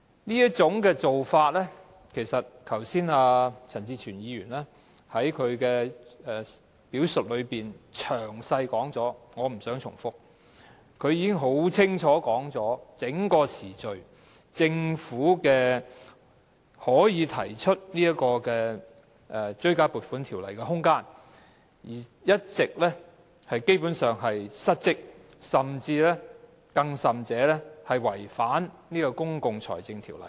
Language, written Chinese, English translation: Cantonese, 就這種做法，剛才陳志全議員在他的發言中已詳細說明，我不想重複，他已經很清楚地敍述在整段時間內，政府是有提出《條例草案》的空間，但卻基本上一直失職，甚至違反《公共財政條例》。, With regard to this approach Mr CHAN Chi - chuen already gave a detailed account of it in his speech earlier on and I do not wish to make any repetition . He stated very clearly that during that period of time the Government had room to introduce the Bill but it had been derelict of its duty and even acted against the Public Finance Ordinance